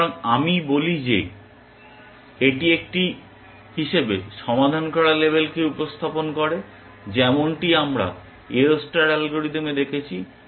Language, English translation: Bengali, So, let me say this represents label solved as a, as we had done in the AO star algorithm